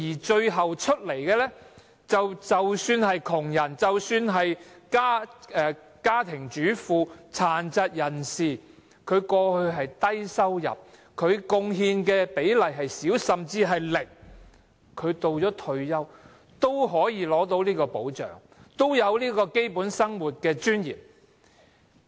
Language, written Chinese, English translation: Cantonese, 最後結果是，即使是窮人、家庭主婦、殘疾人士等，過去的收入低，貢獻少，甚至是零，退休的時候，也可以得到保障，有基本生活的尊嚴。, The ultimate result will be that even poor people homemakers persons with disabilities earning a meagre income or with little or no contribution before can receive protection and enjoy a basic standard of living with dignity in their retirement life